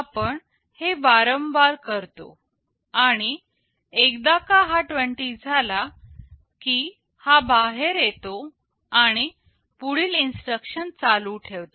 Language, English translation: Marathi, We repeat this and once it becomes 20, it comes out and continues with the next instruction